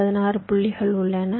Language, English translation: Tamil, there is a set of sixteen points